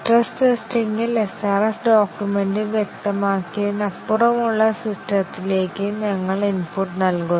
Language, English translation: Malayalam, In stress testing, we give input to the software that is beyond what is specified for the SRS document